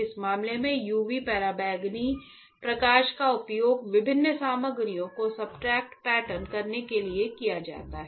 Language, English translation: Hindi, In this case UV ultraviolet light is used to pattern different materials on to the substrate right